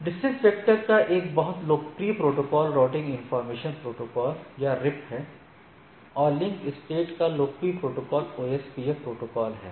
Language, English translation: Hindi, And, the popular protocol for your distance vector is RIP and whereas, this in case of a link state it is OSPF